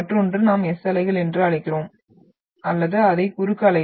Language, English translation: Tamil, Then another one is what we call the S waves or we also term that as transverse waves